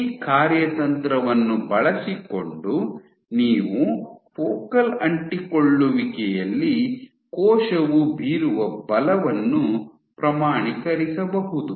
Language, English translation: Kannada, So, using this strategy you can actually quantify the force that the cell is exerting at the focal adhesion